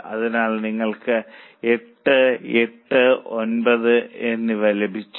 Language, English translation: Malayalam, So, you have got 8, 8 and 9